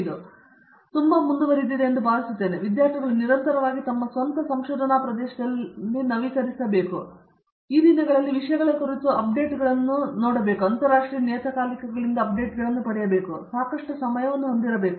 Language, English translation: Kannada, I think it should be a very continues process and students must continuously update in their own research area and they should, now a days we have plenty of avenues for getting these updates from international journals about the journals contents and so on